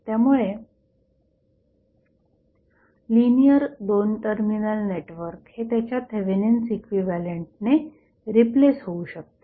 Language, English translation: Marathi, So, linear 2 terminal network can be replaced by its Thevenin equivalent